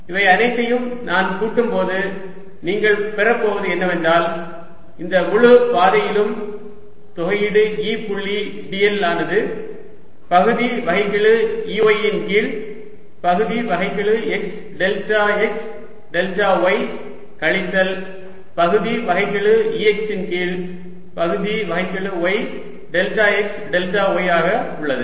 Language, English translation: Tamil, if i add all this together, what you're going to get is that the integral e, dot, d, l over this entire path is going to come out to be partial e, y over partial x, delta x, delta y minus partial e x over partial y, delta x, delta y